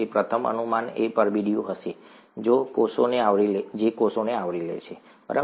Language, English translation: Gujarati, The first guess would be the envelope that covers the cells, right